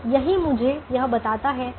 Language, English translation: Hindi, so that is what this tells me